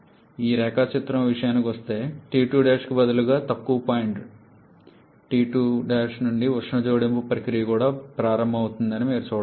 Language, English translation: Telugu, As for this diagram you can see that the heat addition process is also starting from a lower point T 2 Prime instead of T 2